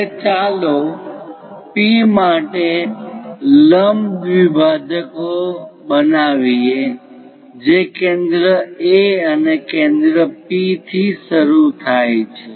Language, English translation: Gujarati, Now, let us construct perpendicular bisectors for P beginning with centre A and also centre P